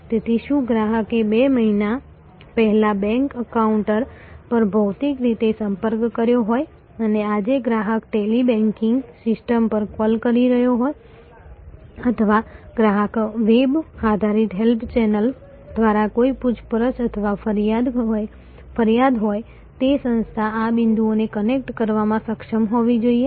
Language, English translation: Gujarati, So, whether the customer has contacted two months back physically at the bank counter and today the customer is calling the Tele banking system or customer has some enquiry or complaint through the web based help channel, it is the organization must be able to connect the dots